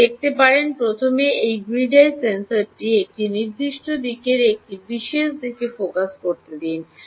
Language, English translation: Bengali, let us first focus this grid eye sensor on one particular, in one particular direction